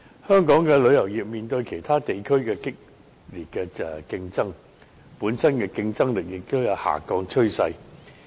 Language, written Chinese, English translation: Cantonese, 香港的旅遊業面對其他地區的激烈競爭，本身競爭力亦有下降趨勢。, In the face of intense competition from other regions Hong Kong has found the competitiveness of its local tourism industry dwindling